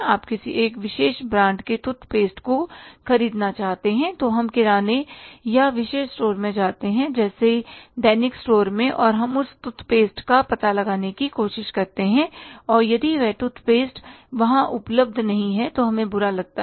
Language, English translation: Hindi, Even you think about that if you want to buy some product, we want to buy the toothpaste of one particular brand, we go to the grocer or one particular store, daily needs store, and we try to find out that toothpaste, and if that toothpaste is not available there, we feel bad